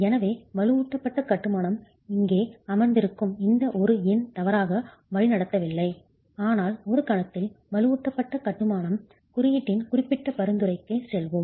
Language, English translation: Tamil, So reinforced masonry, this one number sitting here is not misleading but we will go to the specific recommendation of the reinforced masonry code